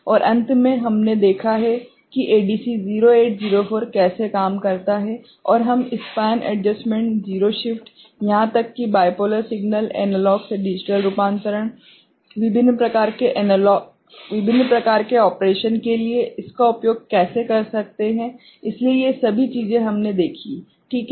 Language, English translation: Hindi, And finally, we have seen how ADC 0804 is you know works, and how we can use it for different kind of operation by using span adjustment, zero shift, even for bipolar signal, analog to digital conversion ok, so all these things we have seen, ok